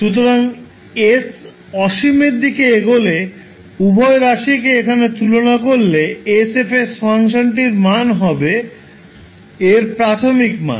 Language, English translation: Bengali, So if you compare both of them here when s tends to infinity the value of function s F s will give you with the initial value